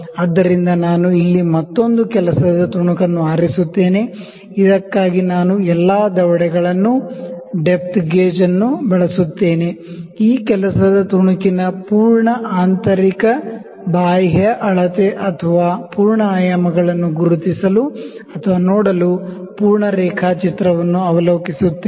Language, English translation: Kannada, So, I will pick another work piece here for which I will use all the jaws the depth gauge, the internal external to draw the full drawing of to draw to identify or to see the full measurements or full dimensions of this work piece